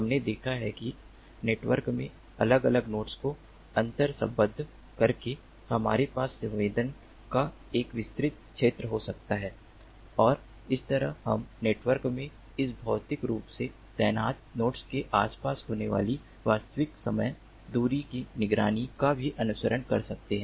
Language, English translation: Hindi, we have seen that by interconnecting the different nodes in the network we can have an extended coverage of sensing and that way we can also have emote real time distance monitoring of what is occurring around this physically deployed nodes in the network